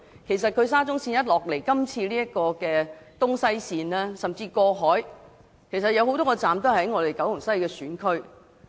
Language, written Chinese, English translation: Cantonese, 事實上，沙中線的東西走廊甚至過海線有多個車站均位於九龍西選區。, As a matter of fact a number of stations along the East West Corridor and even the Cross Harbour Section are located within the Kowloon West constituency